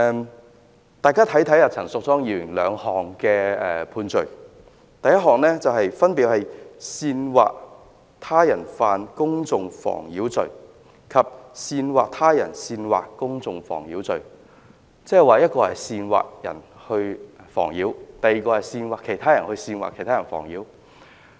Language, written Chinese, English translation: Cantonese, 請大家看一看陳淑莊議員的兩項判罪，分別是"煽惑他人犯公眾妨擾罪"及"煽惑他人煽惑公眾妨擾罪"。即是一項是煽惑他人犯公眾妨擾，另一項是煽惑他人煽惑公眾妨擾。, Judging from the descriptions of the two offences of which Ms Tanya CHAN has been convicted namely incitement to commit public nuisance and incitement to incite public nuisance she has incited others to cause public nuisance and incited the incitement to commit public nuisance